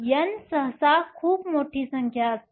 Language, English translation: Marathi, , N is usually a very large number